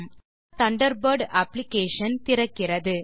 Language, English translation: Tamil, The Mozilla Thunderbird application opens